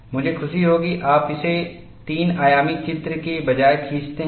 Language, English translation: Hindi, I would appreciate that you draw this rather than a three dimensional picture